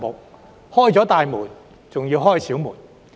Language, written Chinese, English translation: Cantonese, "打開了大門，還要打開小門"。, Big doors are open but small doors are not yet open